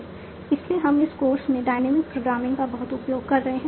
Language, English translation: Hindi, So we have been using dynamic programming a lot in this course